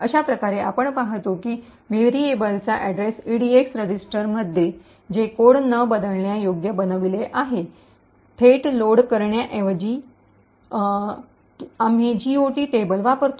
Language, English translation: Marathi, Thus, we see that instead of directly loading the address of the variable into the EDX register which is making the code non relocatable, instead we use the GOT table